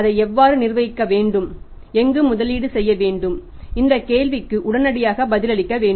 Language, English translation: Tamil, How it has to be managed and where it has to be invested this question has to be answered immediately